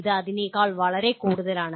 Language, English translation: Malayalam, It is much more than that